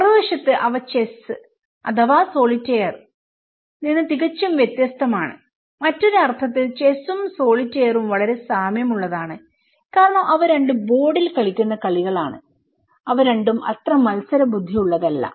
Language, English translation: Malayalam, On the other hand, they are completely different from chess or solitaire, in other sense that chess and solitaire are quite similar because they both are played on board and they both are not competitive as such okay